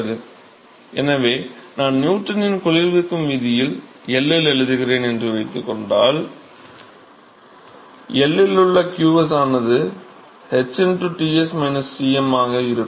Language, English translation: Tamil, So, we know that supposing I write in Newton’s law of cooling at L to where qs at L will be some h into Ts minus Tm at L right